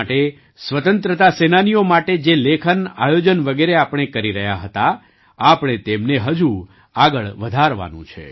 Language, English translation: Gujarati, For the country, for the freedom fighters, the writings and events that we have been organising, we have to carry them forward